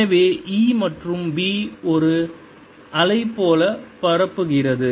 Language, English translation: Tamil, so a and b propagate like a wave